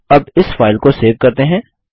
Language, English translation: Hindi, Let us now save the file